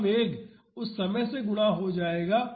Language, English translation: Hindi, That will be the velocity multiplied by the time